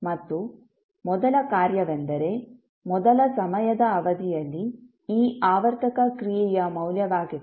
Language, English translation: Kannada, And the first function is the, the value of this periodic function at first time period